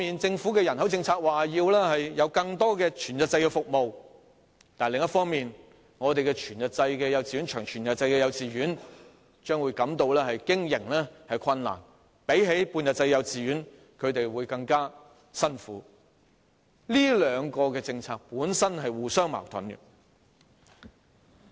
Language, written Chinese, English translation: Cantonese, 政府的人口政策一方面說要提供更多全日制服務，但另一方面，全日制及長全日制的幼稚園將會經營困難，較半日制幼稚園的經營會更艱苦，這兩項政策本身是互相矛盾的。, On one hand the Governments population policy talks about the need to provide more whole - day services but on the other whole - day and long whole - day kindergartens will find it hard to run with even greater difficulties in operation than those in half - day kindergartens . These two policies are by themselves contradictory to each other